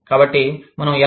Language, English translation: Telugu, So, how do we